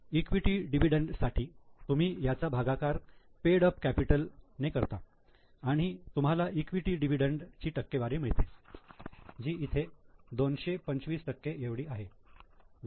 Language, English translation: Marathi, So, equity dividend you divide it by paid up capital, we will get the percentage of equity dividend as a rate